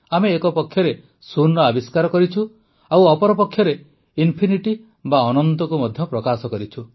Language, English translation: Odia, If we invented zero, we have also expressed infinityas well